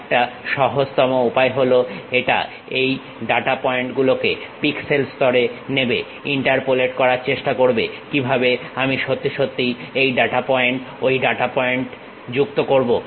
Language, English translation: Bengali, It picks these data points at pixel level, try to interpolate how I can really join this data point that data point